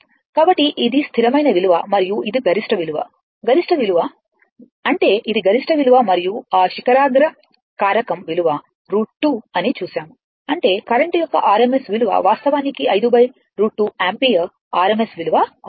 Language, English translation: Telugu, So, this is the fixed value constant value and this is the peak value, the peak value; that means, it is the peak value and we have seen that your peak factor your root 2; that means, the rms value of the current will be actually 5 by root 2 ampere rms value right